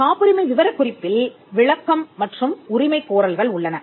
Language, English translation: Tamil, So, the patent specification includes the description and the claims